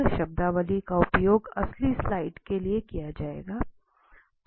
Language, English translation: Hindi, So, this terminology will be used in next slides